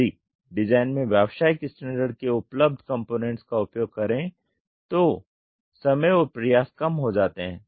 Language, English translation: Hindi, Use standard commercially available components designing time and effort are reduced